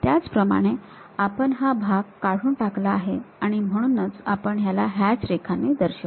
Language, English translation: Marathi, Similarly this part we have removed it; so, we show it by hatched lines